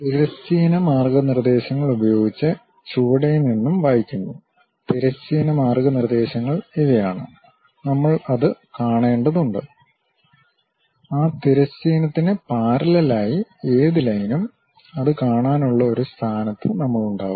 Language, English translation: Malayalam, The texts is read from the bottom using the horizontal guidelines; the horizontal guidelines are these one, with respect to that we have to see that; any line parallel to that horizontal, we will be in a position to see that